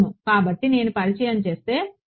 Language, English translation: Telugu, Yeah so, if I introduce ok